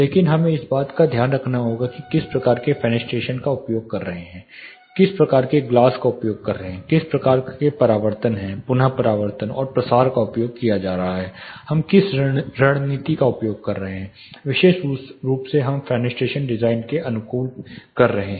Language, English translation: Hindi, So, we have to take an account of what type of fenestration what glass, if it is present what type of glass we are using what type of reflections re reflections diffusions we are using what strategy is specifically we are adapting in the fenestration design